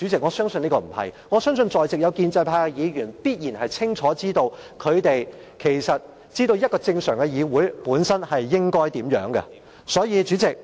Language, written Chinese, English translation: Cantonese, 我相信在席建制派議員清楚知道，一個正常議會應該如何運作。, I believe Members of the pro - establishment camp know very well how a normal parliamentary assembly should operate